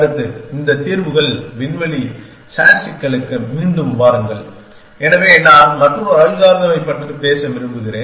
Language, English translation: Tamil, Next, come back to this solutions space sat problem essentially, so I want to talk about another algorithm which is